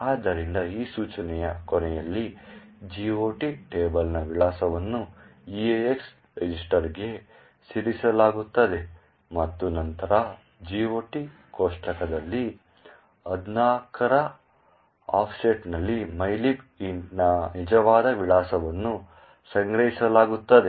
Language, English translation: Kannada, So, this is the GOT table, therefore at the end of this instruction, the address of the GOT table is moved into the EAX register and then at an offset of 14 in the GOT table is where the actual address of mylib int is stored